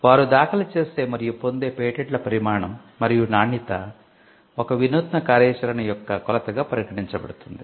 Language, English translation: Telugu, The quantity and quality of patents they file for and obtain are considered as the measure of innovative activity